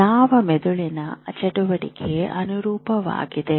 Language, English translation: Kannada, How do you know which brain activity corresponds